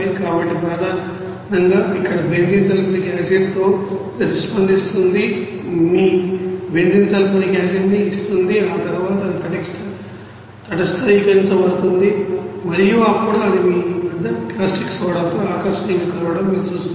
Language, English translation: Telugu, So mainly here benzene is reacting with the sulfuric acid and giving your you know benzene sulphonic acid and after that it will be you know neutralized and then you will see that it will be you know fusioned at you know a fascinator with the you know that is caustic soda